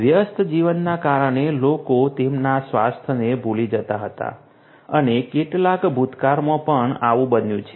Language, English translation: Gujarati, People use to forget about their health due to busy life and this as also happened in the recent past